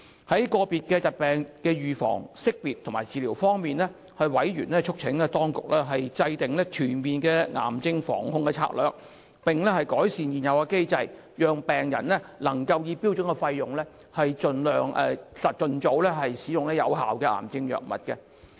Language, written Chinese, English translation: Cantonese, 在個別疾病的預防、識別及治療方面，委員促請當局制訂全面的癌症防控策略，並改善現有機制，讓病人能夠以標準費用，盡早使用有效的癌症藥物。, On the prevention detection and treatment of individual diseases members urged the authorities to formulate a comprehensive cancer prevention and control strategy and improve the existing mechanism so as to enable patients to use effective cancer drugs as early as possible at standard fees and charges